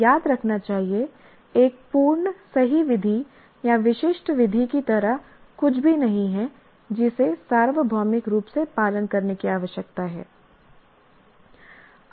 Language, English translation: Hindi, And another one, one should remember, there is nothing like an absolute correct method, a specific method that needs to be universally followed